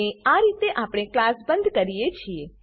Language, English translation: Gujarati, And this is how we close the class